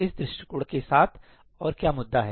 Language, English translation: Hindi, What other issue is there with this approach